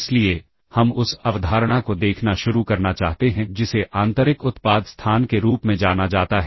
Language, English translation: Hindi, So, you want to start looking at the concept of what is known as an inner, inner product, inner product space